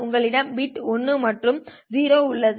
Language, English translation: Tamil, You have bits 1 and 0